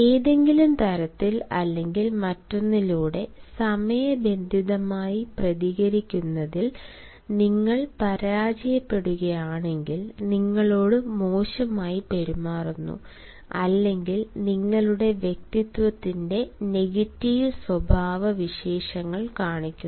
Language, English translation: Malayalam, if, by some way or the other, you fail to respond to the timeliness, you are treated negatively or you are showing the negative traits of your personality